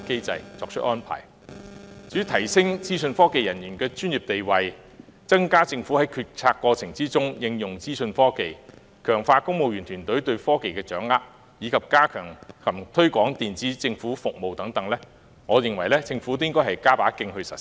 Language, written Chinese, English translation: Cantonese, 關於提升資訊科技人員的專業地位、增加政府在決策過程中應用資訊科技、強化公務員團隊對科技的掌握，以及加強及推廣電子政府服務等的建議，我認為政府應予採納，並加把勁盡早實施。, As to the proposals for raising the professional status of information technology IT staff effectively using IT to raise the Governments efficiency of decision - making stepping up training to enhance civil servants understanding of technology as well as enhancing and promoting digital government services I think the Government should adopt these proposals and step up its efforts to implement them as early as possible